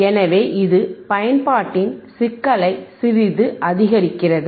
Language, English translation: Tamil, So, this is little bit increasing the complexity of the application